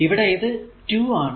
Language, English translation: Malayalam, So, that is 26